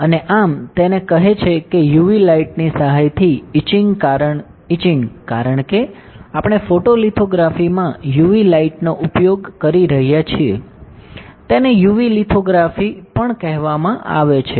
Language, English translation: Gujarati, And thus it says that etching with the help of UV light, because we are using UV light in the photolithography, it is also called UV lithography